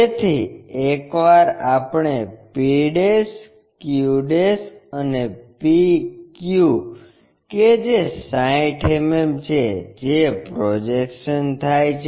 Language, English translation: Gujarati, So, once we are done with p' q' and p q which is also 60, the projected ones